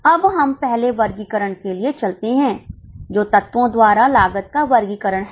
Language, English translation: Hindi, Now let us go for first classification that is cost classification by elements